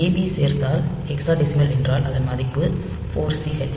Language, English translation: Tamil, So, if it is a addition a b, so in case of hexadecimal the value is 4 C h